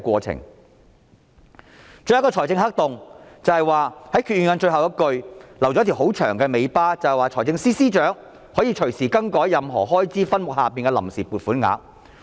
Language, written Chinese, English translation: Cantonese, 最後一個財政黑洞是決議案的最後一句留下一條很長的尾巴，讓財政司司長可以隨時更改任何開支分目下的臨時撥款額。, The last fiscal black hole is the ample leeway provided for the Financial Secretary in the last sentence of the Resolution to make changes to the amount of funds on account under any subhead at any time